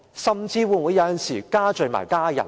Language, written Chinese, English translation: Cantonese, 甚至有時候會否罪及家人？, Sometimes will it even implicit his family members?